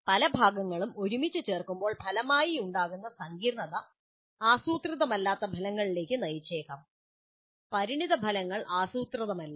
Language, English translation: Malayalam, When many parts are put together, the resulting complexity can lead to results which are unintended